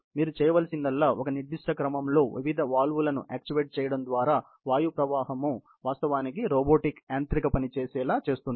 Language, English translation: Telugu, All you need to do is a sort of actuate the various valves in a certain sequence so that, the airflow can actually, make the robot do mechanical work